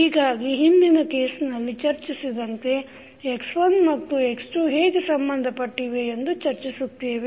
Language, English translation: Kannada, So just previous case when we discussed, we discuss that how x1 and x2 related